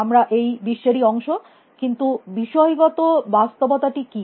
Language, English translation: Bengali, We are also part of this world, but what is the objective reality